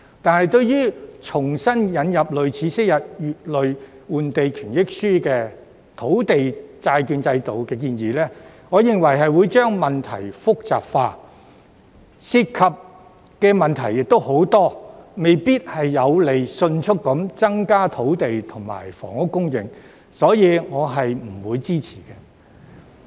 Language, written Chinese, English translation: Cantonese, 但是，我認為重新引入類似昔日"乙類換地權益書"的土地債券的建議，會將問題複雜化，而且涉及的問題亦很多，未必有利迅速增加土地及房屋供應，所以我不會支持。, However in my opinion the proposal of re - introducing a land bond similar to previous Letter B entitlements will not only complicate the issue but also give rise to many problems . Thus it may not be favourable to the speedy increase in the supply of land and housing . Hence I will not support it